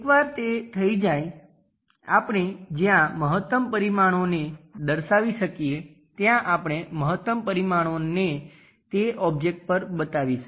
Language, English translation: Gujarati, Once it is done wherever we will feel these maximum dimensions that maximum dimensions we are going to show it on that object